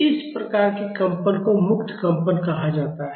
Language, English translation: Hindi, These type of vibrations are called as free vibration